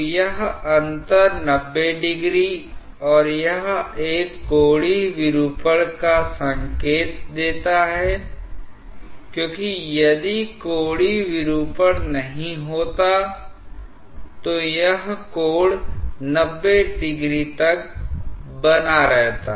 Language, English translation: Hindi, So, this difference between 90 degree and this one gives an indication of the angular deformation because if there was no angular deformation, this angle would have remained as 90 degree